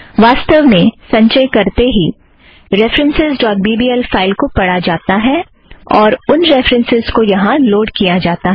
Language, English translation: Hindi, As a matter of fact, the moment we compile this file references.bbl is read, and those references are loaded here